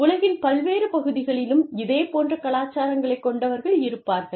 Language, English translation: Tamil, You know, people having similar cultures, in different parts of the world